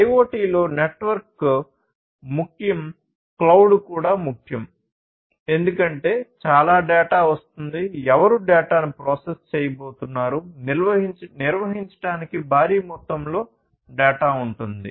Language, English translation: Telugu, So, this IoT the network is important; this network is important and cloud is also important, because lot of data are coming in, who is going to process the data; so much of data difficult to handle